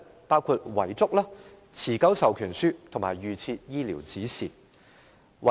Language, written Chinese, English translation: Cantonese, 包括遺囑、持久授權書及預設醫療指示。, They refer to a will an enduring power of attorney EPA and an advance directive